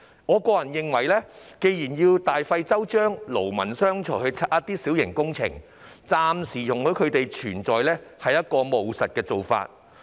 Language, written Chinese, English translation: Cantonese, 我認為既然要大費周章，勞民傷財地拆卸一些小型設施，暫時容許它們存在是務實的做法。, I think instead of spending lot of effort and money to demolish some minor features a pragmatic approach is to allow them to exist for the time being